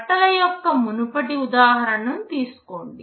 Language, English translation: Telugu, Take the earlier example of clothes